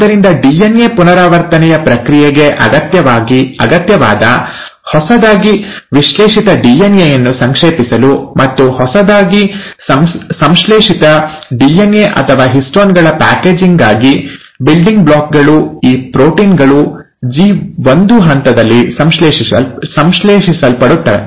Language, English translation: Kannada, So the building blocks, a lot of these proteins which are necessary for the process of DNA replication, also for compacting the newly synthesized DNA, for the packaging of the newly synthesized DNA, which is the histones are getting synthesized in the G1 phase